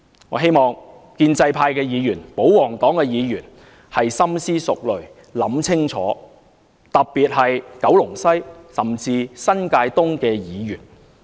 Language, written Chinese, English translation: Cantonese, 我希望建制派及保皇黨的議員深思熟慮，想清楚，特別是九龍西甚至新界東的議員。, I hope the pro - establishment and pro - Government Members particularly those representing the Kowloon West Constituency or even the New Territories East Constituency can give it some serious thoughts